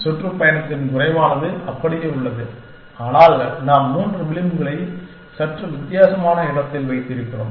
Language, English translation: Tamil, Less of the tour remains the same but, we have puttng back three edges in slightly different place